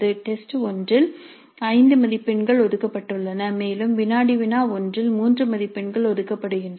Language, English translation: Tamil, In test one five marks are allocated and in quiz 1 3 marks are allocated